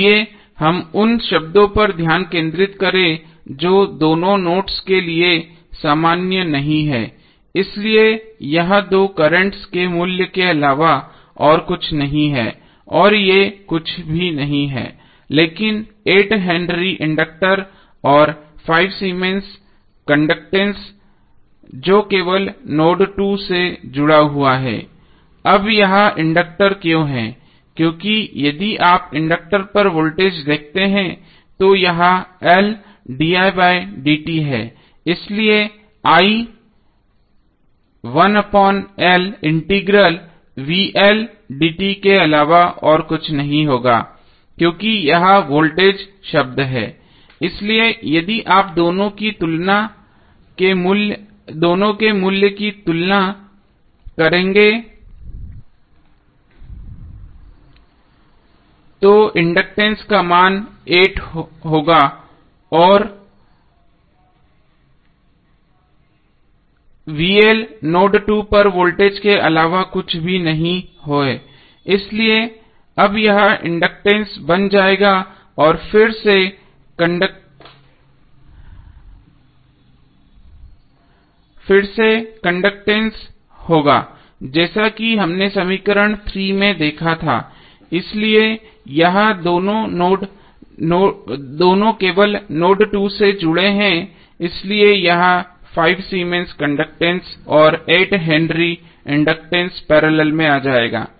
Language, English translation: Hindi, Now let us come to equation 4, we will discuss this two terms when we discuss this two terms because both are same and both are defining something which is common to both of the nodes, so let us concentrate on those terms which are not common to both of the nodes, so this two are nothing but the value of currents and thees are nothing but 8 henry inductor and 5 Siemens conductance which is connected to only node 2, why it is now the inductor because if you see the voltage across inductor it is L di by dt, so i would be nothing but 1 upon L integral vl dt, since this is the voltage term so if you compare both of them the value of inductance would be 8 and vl is nothing but voltage at node 2 so this will now become the inductance and this will be again the conductance as we saw in the equation 3, so this two are only connected to node 2 so this would be coming in parallel, 5 Siemens conductance and 8 henry inductance